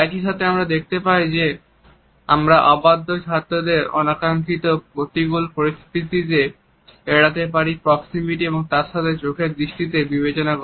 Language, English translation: Bengali, At the same time we find that we can avoid unnecessary hostile attribution with unruly pupils by considering proximity as well as brief eye contact with them